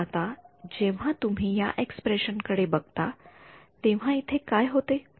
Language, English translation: Marathi, But now when you look at this expression what happens over here